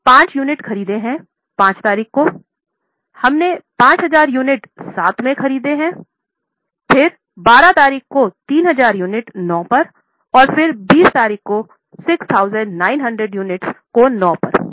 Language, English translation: Hindi, On date fifth, we have purchased 5,000 units at 7, then 12th, 3,000 units at 9 and then on 20th 6,900 units at 9